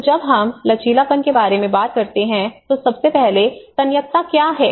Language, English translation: Hindi, So when we talk about resilience, first of all resilience to what